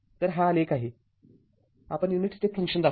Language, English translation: Marathi, So, this is the the plot how you will show the unit step step function right